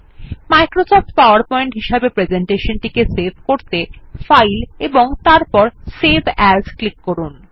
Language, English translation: Bengali, To save a presentation as Microsoft PowerPoint, Click on File and Save as